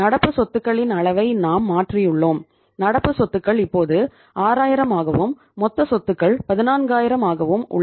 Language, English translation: Tamil, We have changed the level of current assets and current assets are now 6000 and total assets remaining 14000